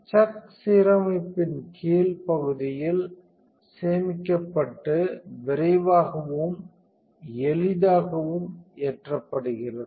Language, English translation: Tamil, The chuck is stored in the bottom part of the aligner and is quick and easy to load